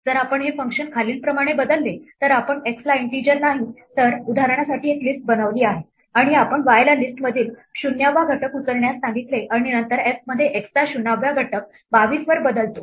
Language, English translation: Marathi, If we change this function as follows we made x not an integer, but a list for example and we asked y to pick up the 0th element in the list and then later in f we change the 0th element of x to 22